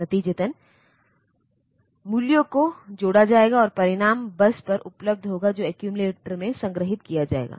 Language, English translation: Hindi, As a result, the values will be added and the result will be available on to the bus which will be stored in the accumulator